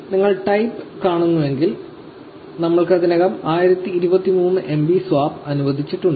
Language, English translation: Malayalam, If you see in the type, we already have 1023 MB allocated to swap